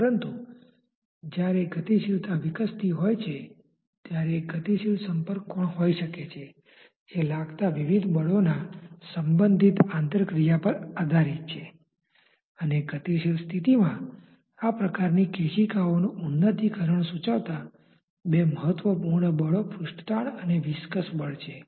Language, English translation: Gujarati, But when dynamics is evolving one may have a dynamic contact angle which depends on the relative interplay of various forces which are acting and since the two important forces dictating this type of capillary advancement in a dynamic condition are the surface tension and the viscous forces